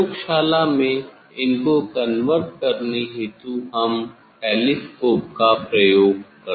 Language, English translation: Hindi, in laboratory to converge them we use the telescope